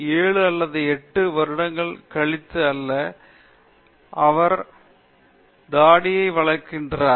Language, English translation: Tamil, is not over after 7 or 8 years; he is growing a beard okay